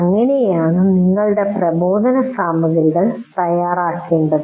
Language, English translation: Malayalam, So that is how you have to prepare your instructional material